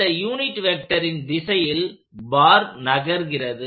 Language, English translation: Tamil, That is the unit vector along which the bar can move